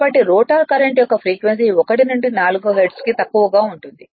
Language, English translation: Telugu, So, that the frequency of the rotor current is as low as 1 to 4 hertz right